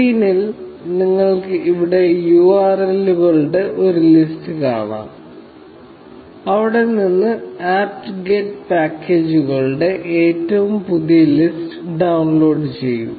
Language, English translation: Malayalam, You can see a list of URLs here on the screen, from where the apt get is downloading the latest list of packages